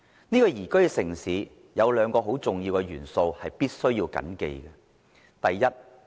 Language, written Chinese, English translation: Cantonese, 這裏有兩個很重要的元素是必須緊記的。, We should bear in mind two very crucial factors